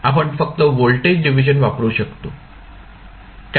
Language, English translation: Marathi, We can use by simply voltage division